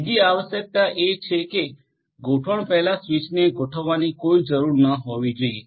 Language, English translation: Gujarati, Second requirement is that there should not be any need to configure switch before deployment right